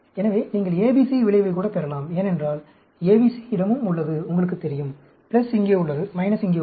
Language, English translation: Tamil, So, you can even get the ABC effect, because ABC also has, you know, the plus is here, the minus is here